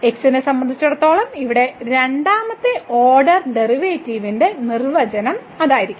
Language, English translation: Malayalam, So, that will be the definition now of the second order derivative here with respect to